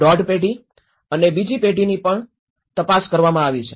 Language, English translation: Gujarati, 5 generation and the second generation also have been investigated